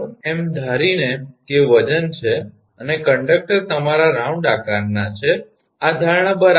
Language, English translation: Gujarati, Assuming that weight is and conductors are your round shape this assumption is correct right